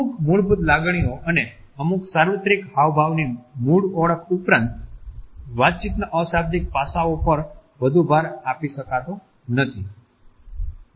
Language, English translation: Gujarati, Beyond the basic identification of certain basic emotions and certain universal gestures, nonverbal aspects of communication cannot assert more